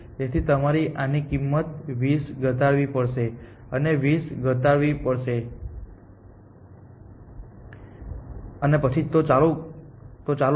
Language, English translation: Gujarati, So, you must reduce the cost of this by 20 reduce the cost of this by 20 and then reduce the cost of this by 20 and so on and so for